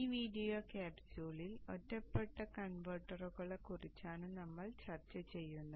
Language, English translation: Malayalam, In this video capsule we shall discuss the isolated converters